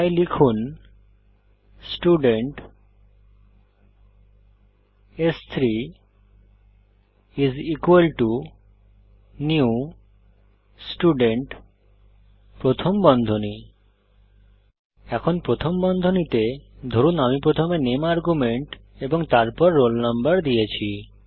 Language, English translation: Bengali, So type Student s3= new Student() Now within parentheses, suppose i gave the name argument first and then the roll number